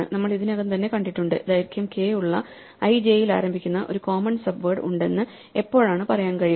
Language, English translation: Malayalam, Well we have already kind of seen it when can we say that there is a commons subword starting at i j of length k, the first thing is that we need this a i to be the same as b j